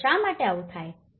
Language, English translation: Gujarati, So, why does it happen like this